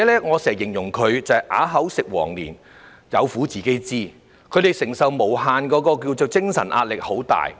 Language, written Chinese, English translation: Cantonese, 我經常形容照顧者是"啞子吃黃連，有苦自己知"，他們承受的精神壓力很大。, I often describe the carers as people who resign themselves to their bitter fate without so much as a word of complaint and suffer great mental pressure